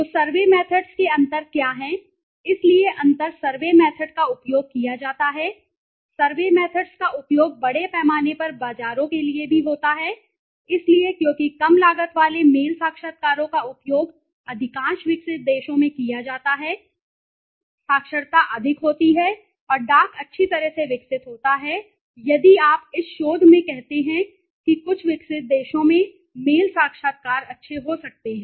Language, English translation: Hindi, So what are the survey methods differences so the difference survey method is used survey methods are very largely has for the markets also right so because of low cost mail interviews continue to be used in most developed countries the literacy is high and postal is well developed so if you are in the research let say in some developed countries may be mail interviews are good right